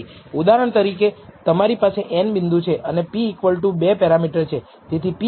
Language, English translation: Gujarati, For example, you have n data points and in this case the p is equal to 2 parameters